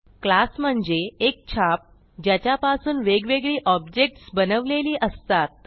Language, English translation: Marathi, A class is the blueprint from which individual objects are created